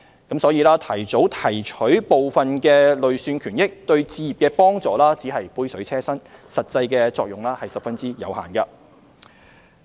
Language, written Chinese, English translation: Cantonese, 因此，提早提取部分累算權益，對置業的幫助只是杯水車薪，實際作用十分有限。, Therefore early withdrawal of part of their accrued benefits is not meaningful in helping home purchase and the actual effect is very limited